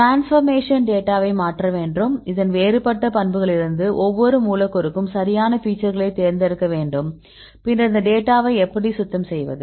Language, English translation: Tamil, Then we need to change the transformation data transformation this is a different a properties right and then from these a properties you need to select the features right for each a molecule then how to get this data cleaning